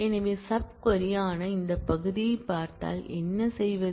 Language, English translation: Tamil, So, what if you look at this part which is the sub query